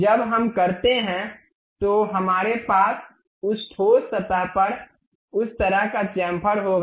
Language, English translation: Hindi, When we do we will have that kind of chamfering on that solid surface